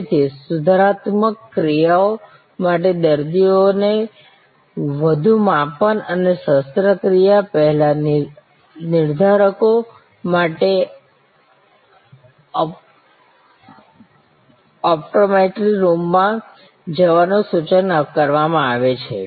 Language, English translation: Gujarati, So, patients for corrective actions are suggested to go to the optometry room for further measurements and pre operation determinants